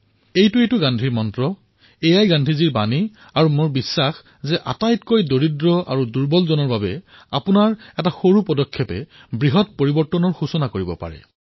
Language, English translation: Assamese, This is the mantra of Gandhiji, this is the message of Gandhiji and I firmly believe that a small step of yours can surely bring about a very big benefit in the life of the poorest and the most underprivileged person